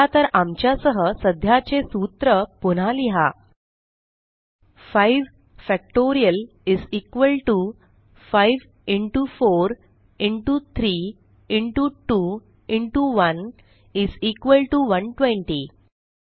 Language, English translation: Marathi, So let us overwrite the existing formula with ours: 5 Factorial = 5 into 4 into 3 into 2 into 1 = 120